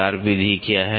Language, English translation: Hindi, What is a wire method